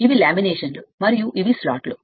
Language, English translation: Telugu, These are the laminations and these are the slots right